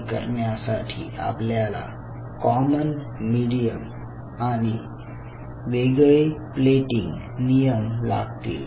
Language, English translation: Marathi, so in order to do that, what we needed was a common medium and a different plating rules